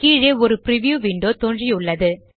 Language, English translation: Tamil, A preview window has appeared below